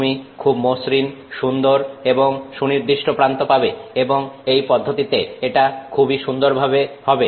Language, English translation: Bengali, You have very nice, smooth, well defined edges and that is very nice in this process